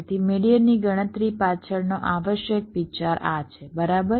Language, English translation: Gujarati, so the essential idea behind calculating median is this, right